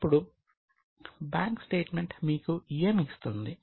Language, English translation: Telugu, Now, what does the bank statement give you